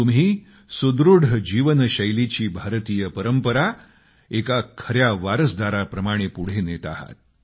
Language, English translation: Marathi, All of you are carrying forward the Indian tradition of a healthy life style as a true successor